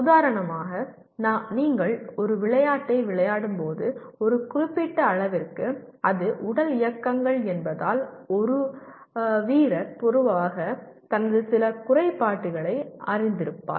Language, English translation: Tamil, For example when you are playing a game, to a certain extent because it is physical movements a player is generally aware of some of his defects